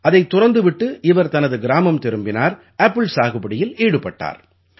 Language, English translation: Tamil, She returned to her village quitting this and started farming apple